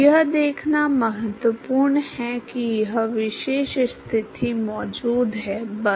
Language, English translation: Hindi, It is important to observe that this particular condition exists, that is all